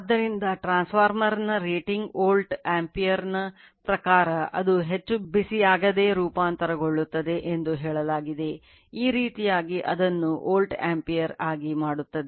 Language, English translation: Kannada, So, the rating of a transformer is stated in terms of the volt ampere that it can transform without overheating so, this way we make it then volt ampere